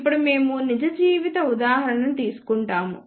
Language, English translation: Telugu, Now, we will take a real life example